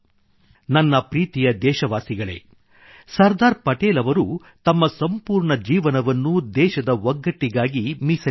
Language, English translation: Kannada, Sardar Patel devoted his entire life for the unity of the country